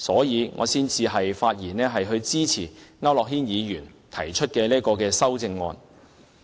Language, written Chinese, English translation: Cantonese, 因此，我發言支持區諾軒議員提出的這項修正案。, Hence I rise to speak in support of such an amendment moved by Mr AU Nok - hin